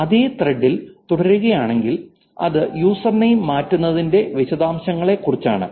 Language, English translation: Malayalam, So, this is continue on the same thread which is about details changing for the users